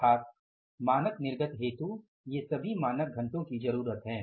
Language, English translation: Hindi, So, it means all the standard hours are required for the standard output